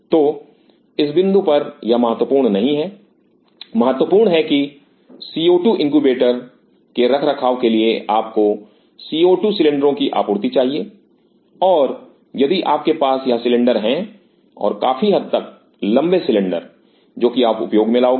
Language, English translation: Hindi, So, at this point this is not important, important is that to maintain a co 2 incubator you need a supply of co 2 cylinder and if you have these cylinders and these are fairly tall cylinders what you will be using